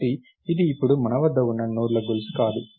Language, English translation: Telugu, So, it its not a chain of nodes that we have now